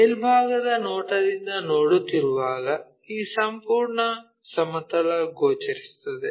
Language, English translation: Kannada, When we are looking from top view this entire plane will be visible